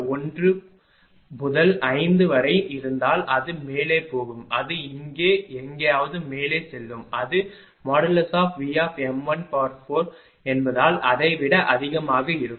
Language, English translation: Tamil, 0 to 5 say it will go up it will go up somewhere here right ah it will be more than that because it is V m 1 to the power 4